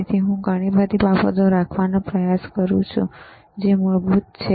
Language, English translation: Gujarati, That is why I am trying to keep a lot of things which are basic